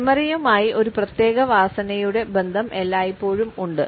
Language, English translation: Malayalam, The association of a particular smell with memory is always there